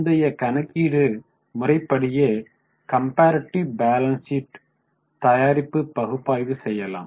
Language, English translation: Tamil, Same way like earlier we will try to calculate comparative balance sheet and analyze it